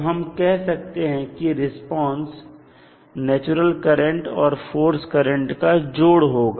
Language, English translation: Hindi, So, now let us say that the response will be some of natural current some of forced current